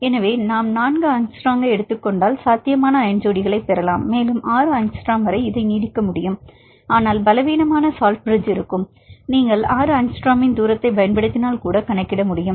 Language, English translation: Tamil, So, if we take the four angstrom we can get the potential ion pairs and we can extend up to 6 angstrom, but there will be weak salt bridges; even that you can account if you use distance of 6 angstrom